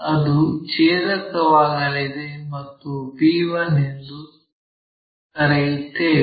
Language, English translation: Kannada, Where it is going to intersect let us call b1